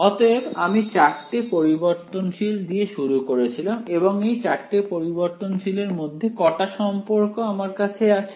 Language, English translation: Bengali, So, I started with 4 variables and how many relations do I have between these 4 variables so far